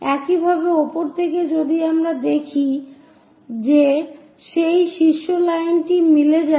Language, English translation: Bengali, Similarly, from top if we are looking, that top line coincides